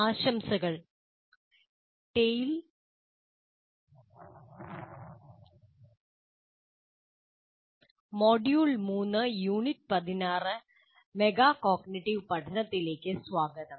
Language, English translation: Malayalam, Greetings and welcome to Tale, Module 3, Unit 16 on Instruction for Metacognition